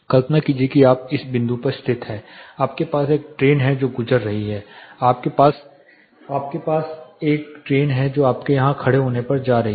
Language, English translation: Hindi, Imagine you are located at the point you have a train which is passing by, you have a train which is getting along when you stand here